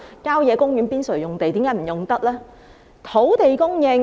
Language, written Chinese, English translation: Cantonese, 郊野公園邊陲用地又為何不能使用呢？, And why can we not use the land on the periphery of country parks?